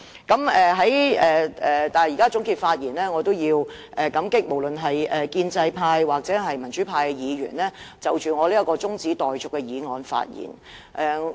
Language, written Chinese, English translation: Cantonese, 不過，在這刻的總結發言中，我也要感激建制派及民主派議員就我這項中止待續議案發言。, Despite that in this concluding speech I must thank Members of both the pro - establishment and pro - democracy camps for speaking on my adjournment motion